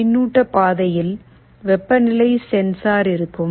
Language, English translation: Tamil, There will be a temperature sensor in the feedback path